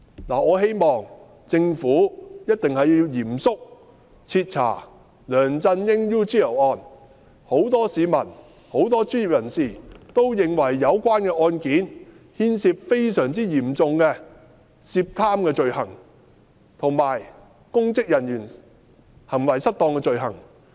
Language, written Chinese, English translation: Cantonese, 我希望政府一定要嚴肅徹查梁振英 "UGL 事件"，因為很多市民及專業人士都認為該事件牽涉非常嚴重的貪污罪行，以及公職人員行為失當的罪行。, I hope that the Government will seriously and thoroughly investigate LEUNG Chun - yings UGL incident as many members of the public and professionals hold that the incident involves a serious corruption offence and the offence of misconduct in public office